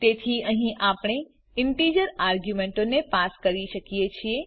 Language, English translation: Gujarati, So here we can pass an integer arguments as well